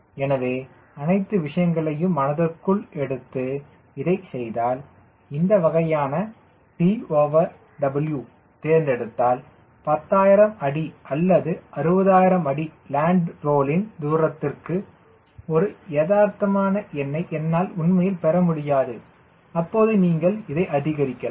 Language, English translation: Tamil, and if you find, doing this, ah, this type of t by w i have selected i am not able to really getting a realistic number for thousand feet or six thousand feet land role distance then you can increase this